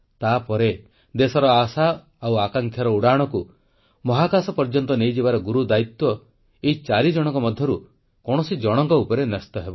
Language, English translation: Odia, After that, the responsibility of carrying the hopes and aspirations of the nation and soaring into space, will rest on the shoulders of one of them